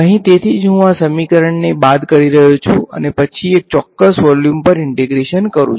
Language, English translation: Gujarati, Here that is why I am subtracting these equation and then integrating over one particular volume